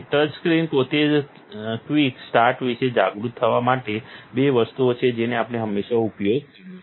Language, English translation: Gujarati, The touchscreen itself there is two things to be aware of, quick start which we just used